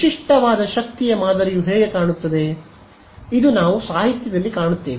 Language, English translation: Kannada, So, typical power pattern how does it look like, this is what we will find in the literature